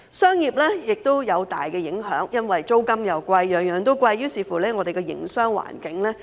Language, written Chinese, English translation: Cantonese, 商業方面亦大受影響，因為租金貴，每樣東西都貴，於是影響了香港的營商環境。, The commercial sector has also been seriously affected . Since rent and everything are expensive the business environment in Hong Kong is adversely affected